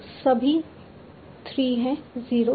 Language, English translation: Hindi, So, all 3 are 0